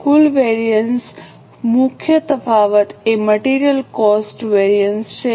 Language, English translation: Gujarati, Now, the total variance, the main variance is a material cost variance